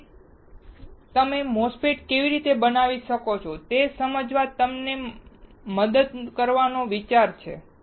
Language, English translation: Gujarati, So, the idea is to help you to understand how you can fabricate a MOSFET